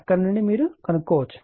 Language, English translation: Telugu, So, from there you can determine right